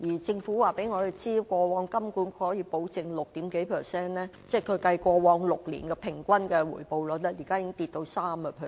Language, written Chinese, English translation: Cantonese, 政府告訴我們，過往金管局可以保證六點幾個百分點的回報率，現時已下跌至 3%。, The Government told us that HKMA could guarantee a return rate of six - odd percentage points and it has dropped to 3 % now